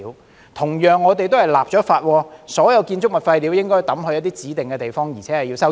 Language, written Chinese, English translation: Cantonese, 我們同樣為此立法，訂明所有建築物廢料都應丟在指定地方並須收費。, We have also enacted legislation for this purpose stipulating that all construction waste should be disposed of at designated places and subject to charges